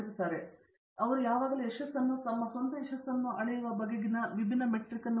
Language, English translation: Kannada, So, they have had always had a different metric on how they measure success or their own success